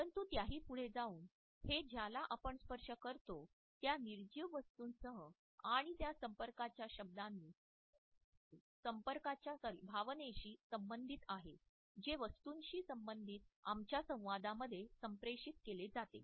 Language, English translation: Marathi, But by extension it is also associated with the objects whom we touch and the sense of touch which is communicated in our association with inanimate objects